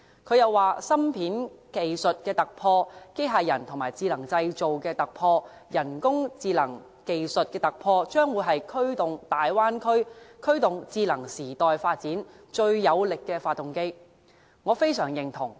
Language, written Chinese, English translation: Cantonese, 他又說芯片技術的突破、機械人與智能製造的突破、人工智能技術的突破，將會是驅動大灣區、驅動智能時代發展最有力的發動機。, He also said that breakthroughs in chips technology; robotics; intelligent production; and artificial intelligence technology would be the most powerful generators in the development of the Greater Bay Area and the era of artificial intelligence